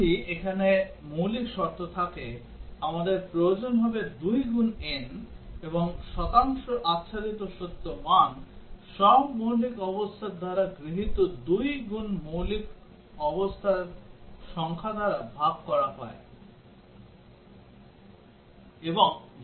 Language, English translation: Bengali, If n basic conditions here, we would need 2 into n and the percent is covered is the truth value taken by all basic conditions divided by 2 into number of basic conditions